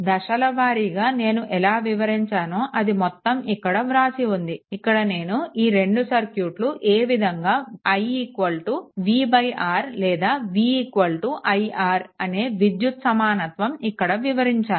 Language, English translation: Telugu, Just we will go through step by step everything is written here, but I explain that how that electrical equivalent that i is equal to v v upon R or v is equal to i R